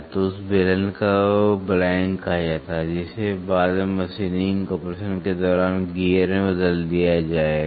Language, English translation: Hindi, So, that cylinder is called blank, which will be later converted into a gear during machining operation